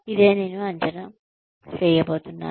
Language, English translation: Telugu, This is what, I am going to assess